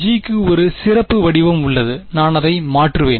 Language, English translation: Tamil, I have a special form for G I will just substitute that right